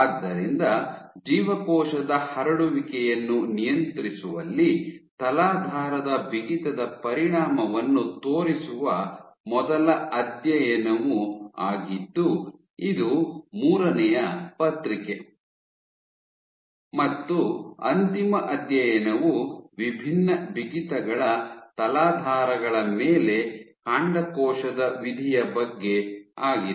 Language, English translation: Kannada, So, the third paper was the first study to show effect of substrate stiffness in regulating cell spreading, and the final study was about stem cell fate, on substrates of different stiffness